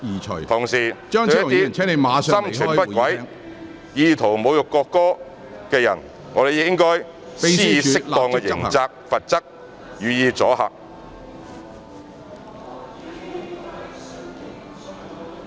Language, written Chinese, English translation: Cantonese, 同時，對一些心存不軌、意圖侮辱國歌的人應該施以適當的刑責和罰則，予以阻嚇。, At the same time appropriate criminal liability and penalties should be imposed on those who intend to insult the national anthem with ulterior motives with a view to creating a deterrent effect